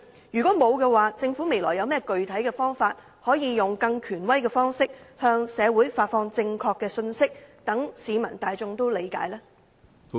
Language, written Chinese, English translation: Cantonese, 如果沒有，政府未來有甚麼具體方法，用更權威的方式向社會發放正確信息，讓市民大眾理解呢？, If not what specific measures will be implemented by the Government in the future to convey the correct messages to society in a more authoritative manner to facilitate public understanding?